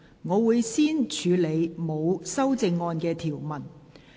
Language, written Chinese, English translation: Cantonese, 我會先處理沒有修正案的條文。, I will first deal with the clauses with no amendment